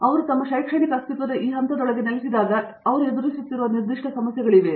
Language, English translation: Kannada, Are there specific issues that you see them encountering as they settle into this phase of their educational existence